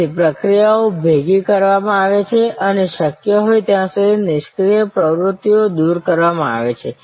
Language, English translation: Gujarati, So, activities are merged and as far as possible, idle activities are removed